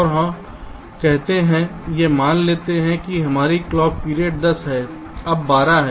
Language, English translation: Hindi, and this lets say this: lets us assume our clock period is ten, now twelve